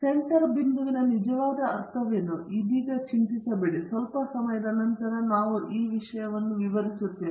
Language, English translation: Kannada, What is really meant by center point, right now do not worry, we will come to it a bit later